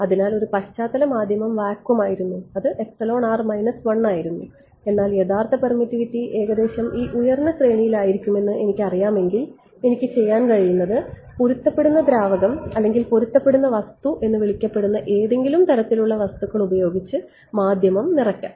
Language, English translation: Malayalam, So, a background medium was vacuum it is epsilon r minus 1, but if I know that the true permittivity is roughly going to be in this high range then what I can do is, I can fill the medium with some kind of what is called matching liquid or matching material whose epsilon b is let us say I can take for example, something like 5 let us say